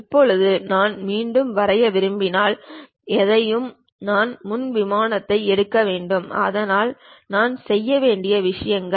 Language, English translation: Tamil, Now, anything if I want to really draw again I have to pick the Front Plane and so on things I have to do